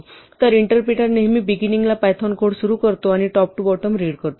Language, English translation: Marathi, So, the interpreter always starts at the beginning of you of python code and reads from top to bottom